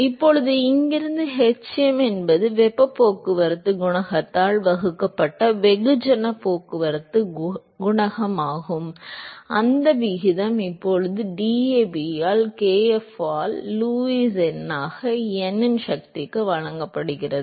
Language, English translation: Tamil, Now, from here hm which is the mass transport coefficient divided by heat transport coefficient that ratio is now given by DAB by kf into Lewis number to the power of n